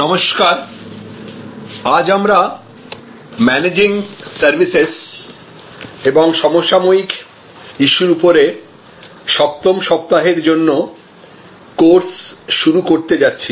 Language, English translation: Bengali, Hello, so we are starting the sessions for the 7th week on this course on Managing Services and contemporary issues